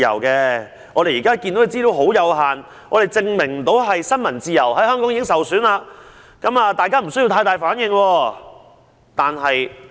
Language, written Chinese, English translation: Cantonese, 他們指出，目前的資料十分有限，不足以證明香港的新聞自由已經受損，呼籲大家不用反應過大。, They have claimed that the materials available are too limited to prove that Hong Kongs freedom of the press has been jeopardized; and they have urged against overreacting